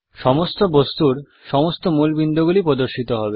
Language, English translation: Bengali, All key points of all objects also appear